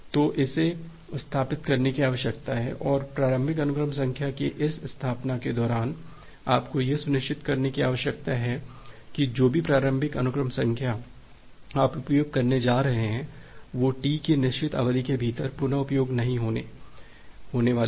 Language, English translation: Hindi, So, that need to be established and during this establishment of the initial sequence number you need to ensure that whichever initial sequence number you are going to use, that is not going to be reused to within certain duration of T